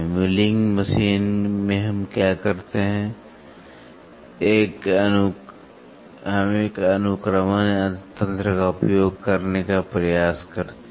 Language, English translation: Hindi, In milling machine what we do is we try to use an indexing mechanism